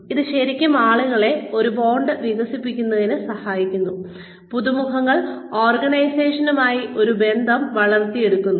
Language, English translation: Malayalam, It really helps people, develop a bond, the newcomers, develop a bond with the organization